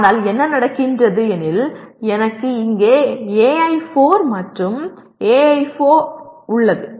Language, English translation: Tamil, But what happens is I have AI4 here and some AI4 also here